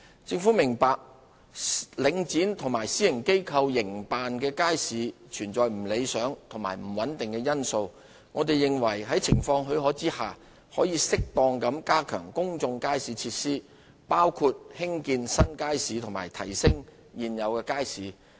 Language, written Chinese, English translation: Cantonese, 政府明白，領展和私營機構營辦的街市有不理想和不穩定的因素，我們認為在情況許可下，應適當地加強公眾街市設施，包括興建新街市及提升現有街市的質素。, The Government understands that markets operated by Link REIT and the private sector are subject to certain undesirable and unstable factors we therefore opine that where circumstances permit public market facilities should be appropriately enhanced which include building new markets and improving the quality of existing markets